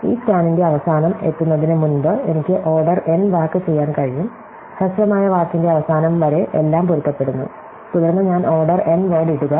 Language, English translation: Malayalam, So, I could do order n work before I reach the end of this scan, everything matches until the end of the shorter word, then I could do order n word